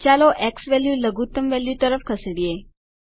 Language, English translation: Gujarati, Lets move the xValue towards minimum value